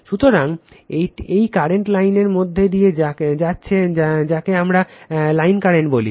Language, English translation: Bengali, So, this is this current is going through the line we call line current